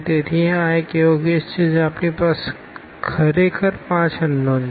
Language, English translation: Gujarati, So, this is a case where we have 5 unknowns actually